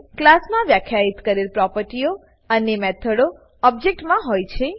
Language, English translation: Gujarati, An object will have the properties and methods defined in the class